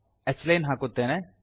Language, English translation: Kannada, Let me put h line